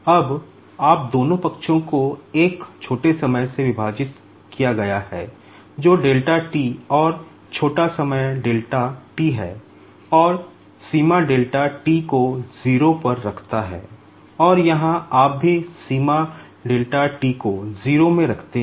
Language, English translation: Hindi, Now, both the sides you divided by a small time that is delta t, and small time delta t, and put limit delta t tends to 0, and here, also you put limit delta t tends to 0